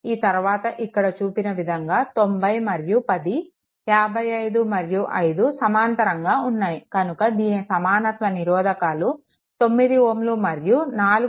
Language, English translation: Telugu, After that these two are shown 90 and 10 and 55 and 5 are in parallel, then this is 9 ohm and equivalent to this it is coming 4